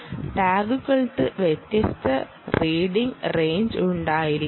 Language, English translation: Malayalam, right, you can have different read ranges of the tags